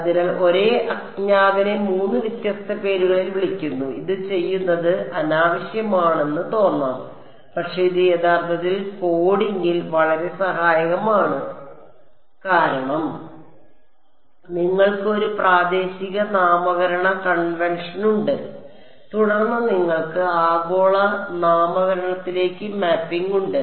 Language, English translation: Malayalam, So, the same unknown is being called by three different names it, I mean it may seem unnecessary to do it, but it actually is a phenomenally helpful in coding, because you have a local naming convention and then you have a mapping to global naming convention